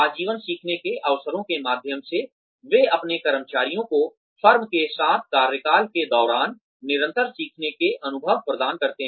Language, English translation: Hindi, Through lifelong learning opportunities, they provide their employees, with continued learning experiences, over the tenure, with the firm